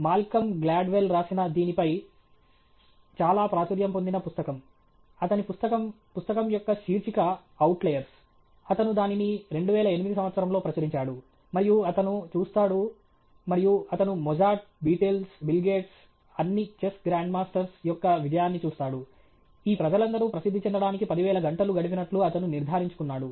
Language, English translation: Telugu, And a very popular book on this is by Malcolm Gladwell; his book, the title of the book is Outliers; he published it in the year 2008, and he looks, and he looks at the success of Mozart, Beatles, Bill Gates, all Chess Grand Masters; he has conclusively established that all these people have spent 10,000 hours before they became famous